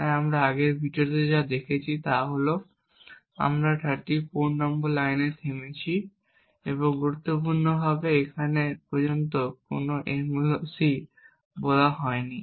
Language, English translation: Bengali, So what we have stopped as we have seen before in the previous videos is that we have stopped at line number 34 and importantly right now there is no malloc has been called as yet